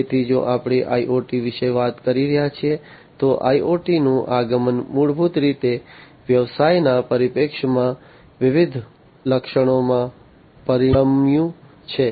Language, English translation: Gujarati, So, if we are talking about IoT, the advent of IoT basically has resulted in different features from a business perspective